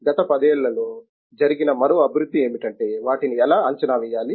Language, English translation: Telugu, The another development that has happened in the last 10 years is how to predict them